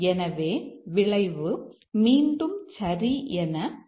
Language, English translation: Tamil, So, the outcome is again true